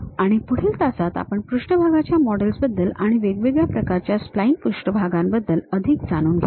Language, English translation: Marathi, And, in the next classes we will learn more about surface models and different kind of spline surfaces